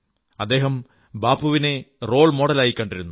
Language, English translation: Malayalam, "Mandela used to consider Bapu as his role model